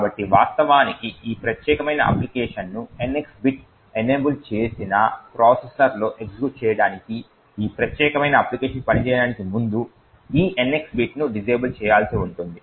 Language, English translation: Telugu, So, in order to actually run this particular application on a processor with NX bit enabled, it would require you to disable this NX bit before it this particular application can work